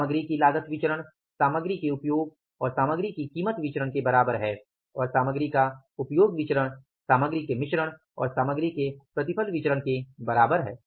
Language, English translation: Hindi, Material cost is equal to material usage and material price variance and material and material, say usage is equal to the material mix and the material yield variances